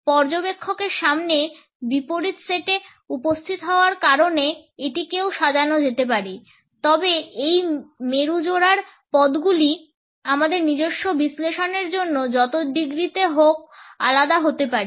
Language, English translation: Bengali, It can also be arranged as they appear before the observer in contrastive sets, but the terms of these polar pairs can differ by as many degrees is we want for our own analysis